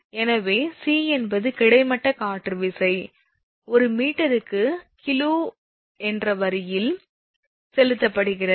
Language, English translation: Tamil, So, then c is horizontal wind force exerted on line in kg per meter